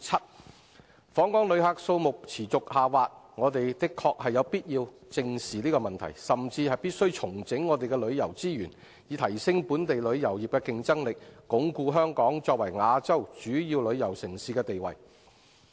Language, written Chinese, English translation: Cantonese, 我們的確有必要正視訪港旅客數目持續下滑的問題，甚至必須重整旅遊資源，以提升本地旅遊業的競爭力，鞏固香港作為亞洲主要旅遊城市的地位。, Indeed it is necessary for us to face up to the problem of continuous decline of visitor arrivals we may even have to rationalize our tourism resources to enhance the competitiveness of the local tourism industry so as to reinforce Hong Kongs status as Asias major tourist city